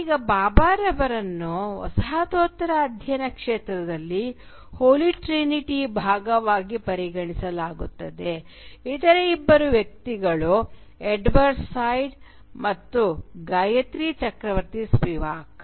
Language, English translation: Kannada, Now Bhabha is often regarded as part of the “Holy Trinity” in the field of postcolonial studies with the other two figure being Edward Said and Gayatri Chakravorty Spivak